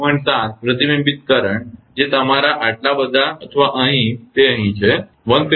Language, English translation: Gujarati, 7 the reflected current was your this much or here, it is here it is 179